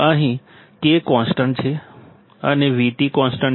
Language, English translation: Gujarati, Here K is constant and V T is constant